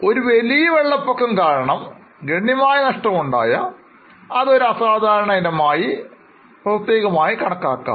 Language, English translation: Malayalam, If it is a significant loss because of a major flood, then that will be separately shown as an extraordinary item